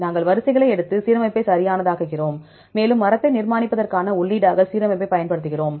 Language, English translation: Tamil, We take the sequences and make the alignment right, and use the alignment as the input for constructing tree